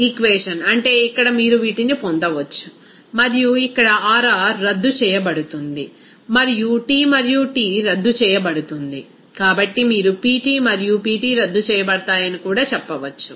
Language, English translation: Telugu, So, if you divide this equation by this equation, then that means here you can get these and here R R will be canceled out and T and T will be canceled out, so also you can say that Pt and Pt will be canceled out